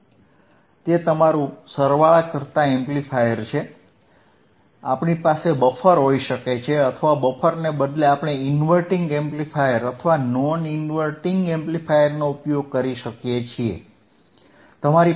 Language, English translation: Gujarati, That is your summing amplifier, we can have the buffer or we can change the buffer in instead of buffer, we can use inverting amplifier or non inverting amplifier